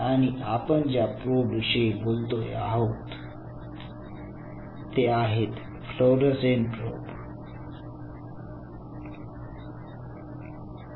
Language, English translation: Marathi, And the kind of probe are we talking about is called fluorescent probes